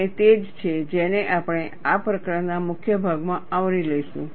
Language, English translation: Gujarati, And, that is what we would cover in major part of this chapter